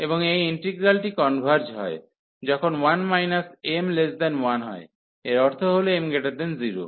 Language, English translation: Bengali, And this integral converges, when this 1 minus m is less than 1, so that means the m is greater than 0